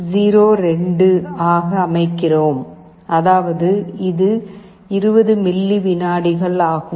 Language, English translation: Tamil, 02, which means 20 milliseconds